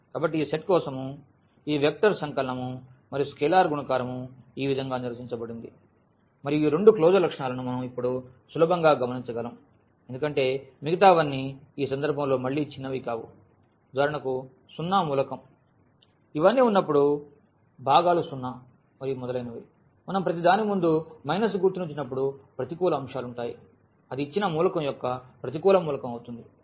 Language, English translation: Telugu, So, this is how these vector addition and the scalar multiplication is defined for this set and what we can easily now observe those two closure properties at least because all others are trivial in this case again like for instance the zero element will be when all these components are zero and so on, the negative elements will be when we put the minus sign in front of each so, that will be the negative element of a given element